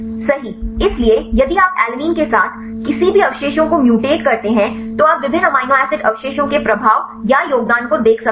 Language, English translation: Hindi, So, if you mutate any residue with alanine you can see the influence or the contribution of different amino acid residues